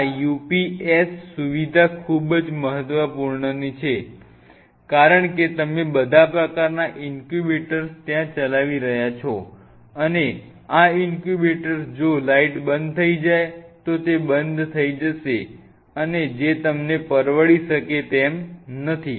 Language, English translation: Gujarati, This UPS facility is very important because of the obvious reason because your running all this kind of incubators out there, and these incubators if the light goes off they will go off and that something you would cannot afford